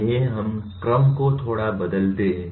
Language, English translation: Hindi, Let us change the sequence a little bit